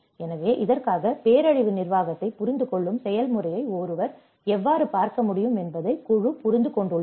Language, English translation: Tamil, So, for this, the team has understood that how one can look at the process of understanding the disaster management